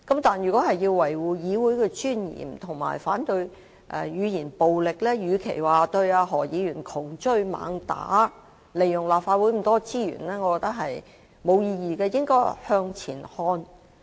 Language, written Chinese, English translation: Cantonese, 但是，如果說要維護議會尊嚴及反對語言暴力，與其對何議員窮追猛打，利用立法會這麼多資源，我認為是沒有意義的，我們應該向前看。, But instead of pursuing Dr HO relentlessly we should be forward - looking . I think it is pointless to use up so much resources of the Legislative Councils in protecting the dignity of the legislature and opposing to verbal violence